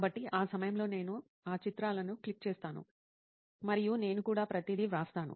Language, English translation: Telugu, So for that time I just click those pictures and I also write everything down